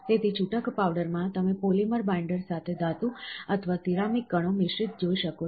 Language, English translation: Gujarati, So, in the loose powder you can see metal or ceramic particles mixed with a polymer binder, these are polymer binders